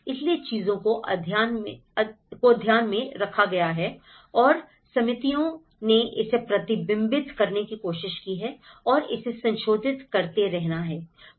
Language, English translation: Hindi, So, things have been taken into account and committees have try to reflect that and let it has to keep revising